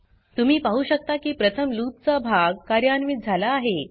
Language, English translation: Marathi, You can see that the body of loop is executed first